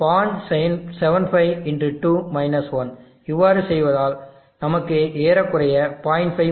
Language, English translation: Tamil, 78 x 2 1 which is around 0